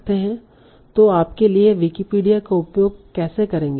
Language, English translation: Hindi, So how would you use Wikipedia for this